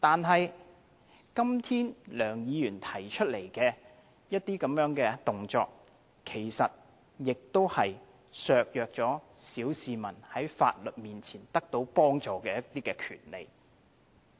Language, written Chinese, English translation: Cantonese, 可是，今天梁議員提出來的這些動作，其實亦削弱了小市民在法律面前獲得幫助的權利。, Nevertheless today Mr LEUNGs action is actually undermining the rights of ordinary members of the public to obtain assistance before the law